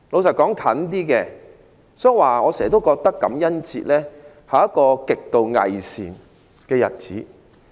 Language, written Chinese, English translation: Cantonese, 所以，我時常覺得感恩節是一個極度偽善的日子。, Honestly the recent Hence I always think that Thanksgiving Day is extremely hypocritical